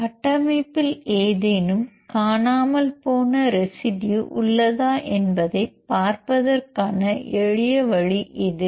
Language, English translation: Tamil, This is the simplest way to see whether the structure is having any missing residues